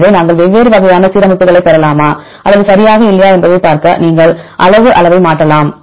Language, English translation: Tamil, So, you can change the word size to see whether we can get different types of alignments or not right